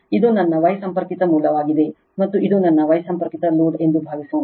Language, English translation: Kannada, Suppose, this is my star connected source and this is my star connected load right